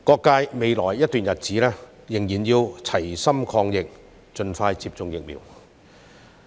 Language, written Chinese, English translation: Cantonese, 在未來一段日子，社會各界仍要齊心抗疫，盡快接種疫苗。, In the days ahead all quarters of society still have to work together to fight the virus by getting vaccinated as expeditiously as possible